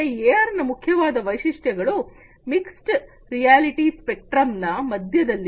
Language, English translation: Kannada, So, some of the key features of AR, it lies in the middle of the mixed reality spectrum